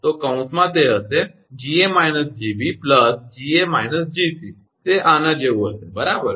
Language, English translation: Gujarati, So, in bracket it will be Ga minus Gb, plus the Ga minus your Gc it will be like this right